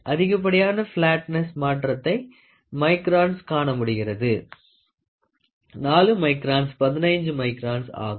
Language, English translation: Tamil, So, you can see maximum deviation flatness in microns; 4 microns, 15 microns, ok